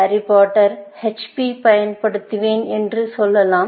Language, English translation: Tamil, Let us say, I will use HP for Harry Potter, one of the Harry Potter films